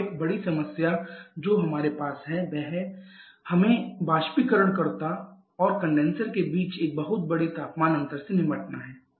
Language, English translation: Hindi, And one big problem that we have is when we have to deal with a very large difference temperature difference between the evaporator and condenser